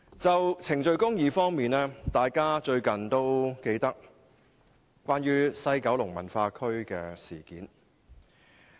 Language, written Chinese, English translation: Cantonese, 就程序公義而言，相信大家仍記得最近的西九文化區事件。, Regarding procedural justice I believe Members will remember the recent incident concerning the West Kowloon Cultural District WKCD